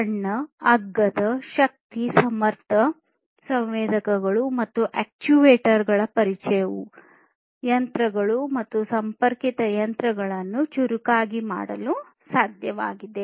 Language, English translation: Kannada, And this for smartness the introduction of small, cheap, energy efficient sensors and actuators have made it possible to make machines and connected machines smarter